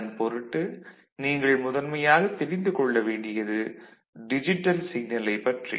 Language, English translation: Tamil, So, the first thing that you need to know is that what is a digital signal